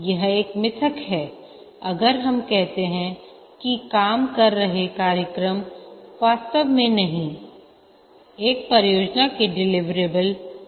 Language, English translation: Hindi, It is a myth if we say that the working program is the deliverable of a project